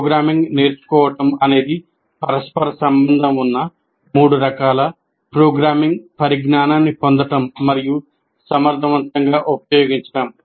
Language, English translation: Telugu, Learning programming involves the acquisition and effective use of three interrelated types of programming knowledge